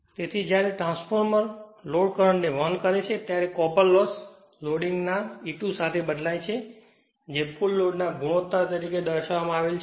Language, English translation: Gujarati, So, when the transformer carries the load current, copper loss varies as the square of the loading expressed as a ratio of the full load